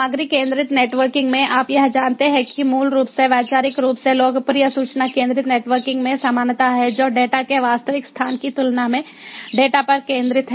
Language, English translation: Hindi, in content centric networking, you know, it is basically conceptually has similarities to the popular information centric networking which focuses on the data than the actual location of the data